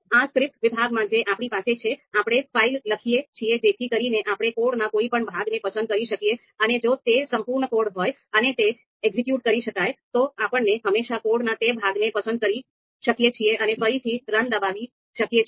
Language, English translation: Gujarati, So in this script section that we have here we write the file so you can select any part of the code selective part of the code, and if it is a complete you know code where it can be executed, you can always select that part of the code and you can again press run and you will get the output